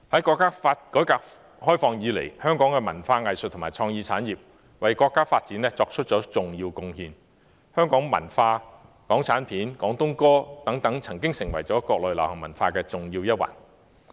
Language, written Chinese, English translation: Cantonese, 國家改革開放以來，香港的文化藝術和創意產業為國家發展作出了重要貢獻，香港文化、港產片和廣東歌等曾經成為國內流行文化的重要一環。, Since the countrys reform and opening up Hong Kongs arts and culture and creative industries have made important contributions to the national development . Hong Kong culture Hong Kong films and Cantonese songs among others were once an important part of the Mainland popular culture